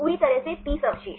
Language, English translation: Hindi, Totally 30 residues